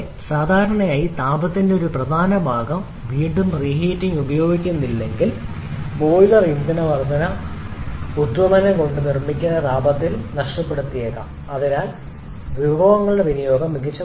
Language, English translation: Malayalam, Also, generally the heat that is produced the boiler if we are not using reheating a significant part of that heat produced because of the fuel combustion may get wasted so we are also able to make better utilization of our resources by the reheating